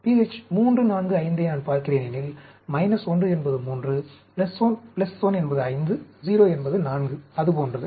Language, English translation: Tamil, pH, if it is 3, 4, 5 I am looking at, so minus 1 means 3; 5 is plus 1; 0 is 4; like that you know